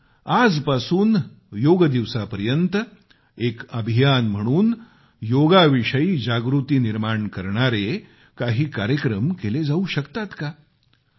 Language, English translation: Marathi, Can we, beginning now, till the Yoga Day, devise a campaign to spread awareness on Yoga